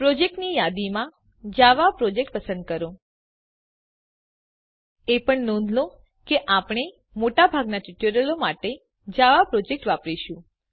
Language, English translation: Gujarati, go to File New select Project In the list of projects, select Java Project Also note that, for most of our tutorials, we will be using java project